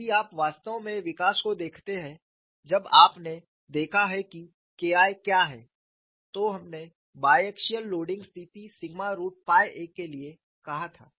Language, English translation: Hindi, If you really look at the development when you looked at what is K 1, we set for a biaxial loading situations sigma root by a